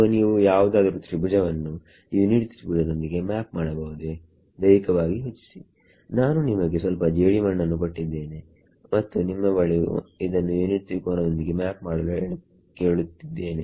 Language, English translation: Kannada, So, can you map any triangle to the unit triangle physically think about supposing I give you know some clay and I ask you to map it into a unit triangle